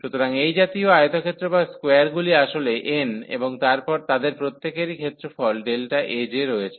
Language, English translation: Bengali, So, such rectangles or the squares are actually n and each of them has the area delta A j